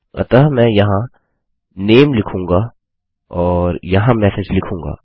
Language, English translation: Hindi, So let me just put Name: in here and Message: in here